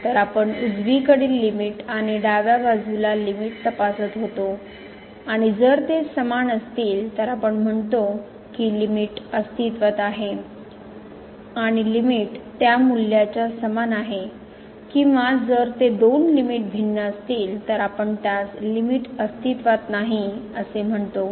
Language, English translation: Marathi, So, we used to check the limit from the right side and limit from the left side and if they are equal, then we say that the limit exist and limit is equal to that value or if those two limits are different then, we call that the limit does not exist